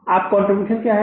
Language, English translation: Hindi, What is contribution now